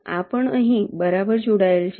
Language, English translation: Gujarati, this has to be connected to a